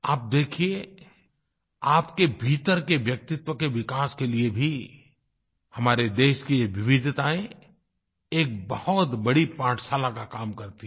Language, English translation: Hindi, You may see for yourself, that for your inner development also, these diversities of our country work as a big teaching tool